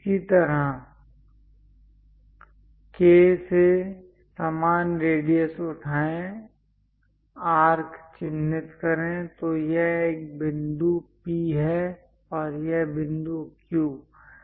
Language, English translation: Hindi, Similarly, from K, pick the same radius mark arc, so this one is point P, and this point Q